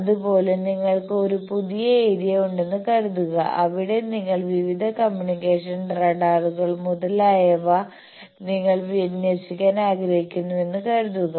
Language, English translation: Malayalam, Similarly, you see that suppose you have a new area and there you want to start your various communications, your radars etcetera you want to deploy